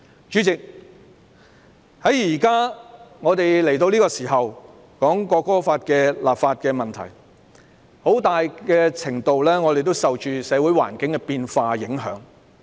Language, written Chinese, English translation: Cantonese, 主席，我們這時討論《條例草案》的立法問題，很大程度上也受到社會環境變化的影響。, Chairman to a large extent our current discussion about the legislative issues of the Bill is affected by changes in the social environment